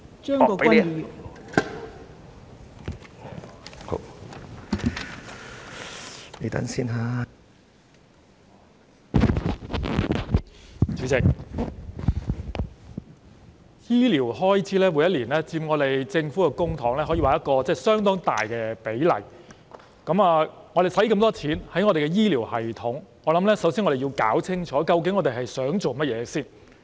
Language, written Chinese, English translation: Cantonese, 代理主席，醫療開支每年也佔政府公帑一個相當大的比例，我們把那麼多款項投放至醫療系統，我認為首先要弄清楚我們的目標究竟是甚麼。, Deputy President the healthcare expenditure takes up a very large proportion of the Governments spending out of the public coffers annually . Given that such a large amount of money is injected into the healthcare system I think we should first make clear what exactly our objective is